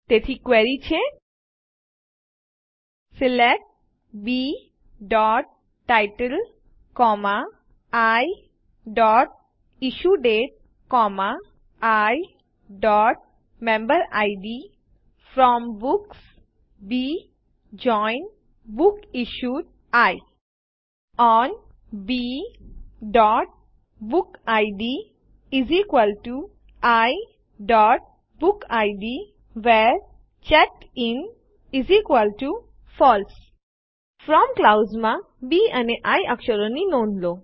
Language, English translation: Gujarati, So the query is: SELECT B.title, I.IssueDate, I.Memberid FROM Books B JOIN BooksIssued I ON B.bookid = I.BookId WHERE CheckedIn = FALSE Notice the letters B and I in the FROM clause